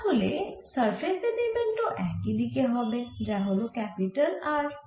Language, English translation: Bengali, so and surface element is also in the same direction, which is r capital